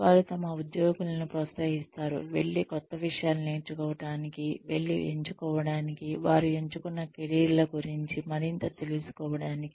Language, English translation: Telugu, They encourage their employees, to go and learn new things, to go and find out, more about their chosen careers